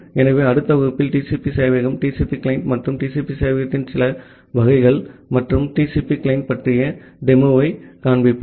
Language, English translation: Tamil, So, in the next class, we will show you the demo about the TCP server, TCP client and some variants of TCP server and the TCP client